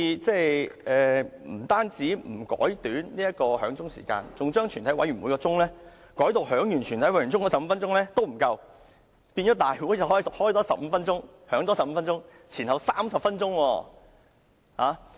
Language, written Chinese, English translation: Cantonese, 他們不但不縮短響鐘時間，更嫌全體委員會審議階段響鐘15分鐘也不足夠，須在回復為立法會後再多響鐘15分鐘，合共30分鐘。, Instead of requesting to shorten the duration of bell - ringing they seek to add another 15 - minute bell - ringing when Council resumes from the Committee of the whole Council as they deem the bell - ringing time during the whole Council not long enough . It adds up to a total of 30 minutes